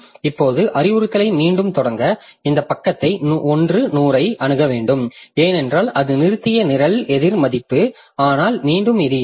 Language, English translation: Tamil, Now to restart the instruction again I need to access this page 100 because that was the program counter value at which is stopped but again this is not there